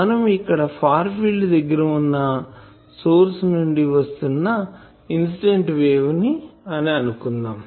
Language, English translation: Telugu, Now, here we are assuming that this incident wave is coming from a source which is at the far field